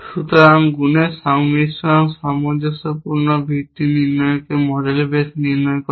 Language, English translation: Bengali, So, multiplication combination consistency base diagnosis is kind of also called as model base diagnosis